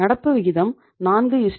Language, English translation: Tamil, Current ratio is 4:1